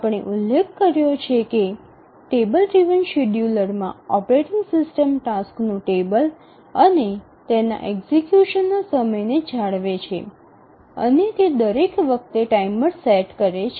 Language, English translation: Gujarati, We had mentioned that in the table driven scheduler the operating system maintains a table of the tasks and their time of execution and it sets a timer each time